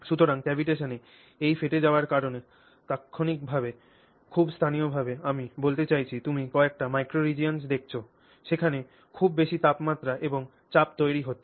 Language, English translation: Bengali, So, this cavitation at that instant because of this collapse very locally, I mean you are looking at some extremely micro regions, very locally high temperatures and pressures are created